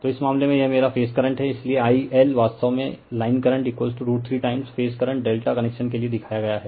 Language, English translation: Hindi, So, in this case this is my phase current, so I L actually line current is equal to root 3 time phase current for delta connection right shown